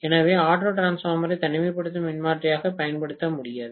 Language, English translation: Tamil, Auto transformer cannot be used as an isolation transformer